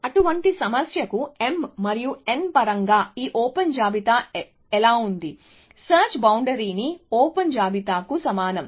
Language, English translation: Telugu, So, for such a problem how in terms of m and n, how is this open list, search frontier is equal to the open list